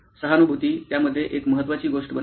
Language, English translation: Marathi, So, empathy formed a key bit in that